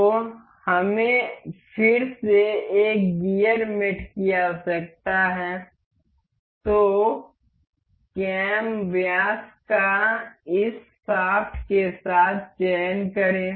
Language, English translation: Hindi, So, we again need a gear mate select this cam diameter to this shaft